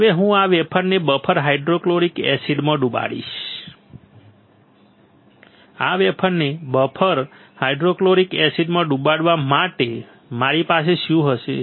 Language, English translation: Gujarati, Now, I will dip this wafer into the buffer hydrofluoric acid, on dipping this wafer in buffer hydrofluoric acid what will I have